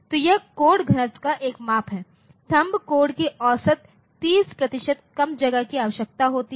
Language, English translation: Hindi, So, that is a measure of the code density the THUMB code on an average requires 30 percent less space